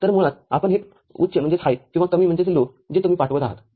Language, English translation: Marathi, So, basically this high or low that you are sending